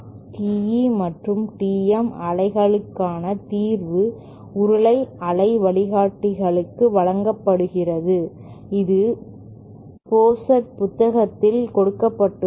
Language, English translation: Tamil, The solution for TE and TM waves is given in for cylindrical waveguide is given in the book by Pozart